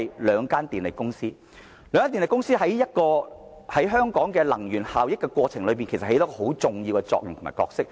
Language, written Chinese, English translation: Cantonese, 兩間電力公司在香港的能源效益政策中，扮演着相當重要的角色。, The two power companies play a vital role in Hong Kongs energy efficiency policy